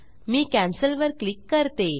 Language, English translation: Marathi, I will click on Cancel